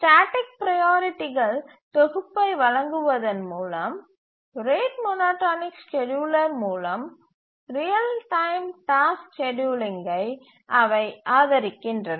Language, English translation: Tamil, They support real time tasks scheduling through the rate monotonic scheduler by providing a fixed set of priorities